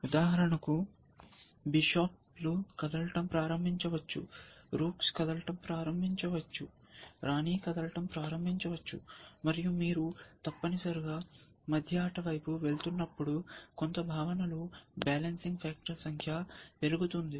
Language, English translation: Telugu, So, for example, bishops can start moving, cooks can start moving, the queen can start moving, and the number of the balancing factor in some sense increases, as you go towards a middle game essentially